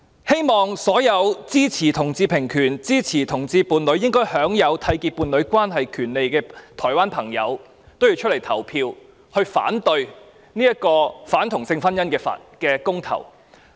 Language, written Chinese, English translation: Cantonese, 希望所有支持同志平權，支持同志伴侶應享有締結伴侶關係權利的台灣朋友均踴躍投票，反對這項反同性婚姻的公投。, I hope all Taiwanese people who support equal rights for homosexuals and agree that same - sex couples should have the rights to enter into a union will come out to cast their votes and say no in the referendum against same - sex marriage